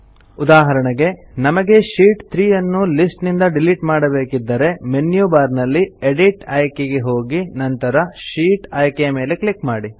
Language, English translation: Kannada, For example if we want to delete Sheet 3 from the list, click on the Edit option in the menu bar and then click on the Sheet option